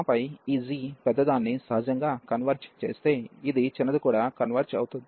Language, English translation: Telugu, And then, we notice that if this g converges the bigger one the natural, this is smaller one will also converge